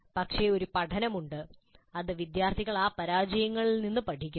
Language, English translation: Malayalam, The lessons that the students draw from the failures are also valuable